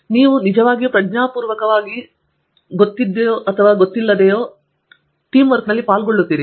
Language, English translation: Kannada, You actually consciously or unconsciously participate in Teamwork